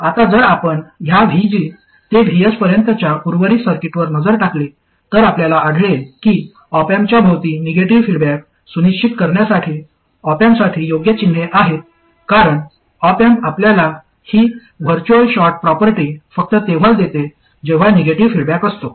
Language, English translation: Marathi, Now if you look at the rest of the circuit from this V G to VS, you will find that this is the correct sign of the – these are the correct signs for the op amp to ensure negative feedback around the op amp itself because the op am gives you this virtual short property only when it is in negative feedback